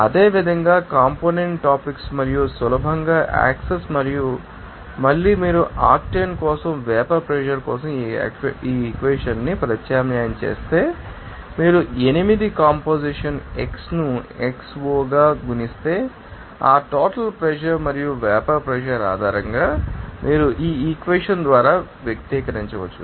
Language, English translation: Telugu, And similarly component topics and easy access and again if you substitute that you know equation for the vapor pressure for octane and then if you multiply 8 composition x as x0, you can simply express by this equation based on that, you know total pressure and vapor pressure